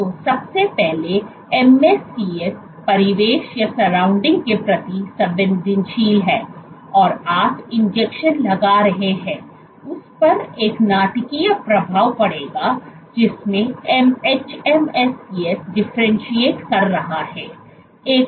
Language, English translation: Hindi, So, first of all if hMSCs are sensitive to surroundings, so then where you are injecting will have a dramatic effect on what the hMSCs differentiate into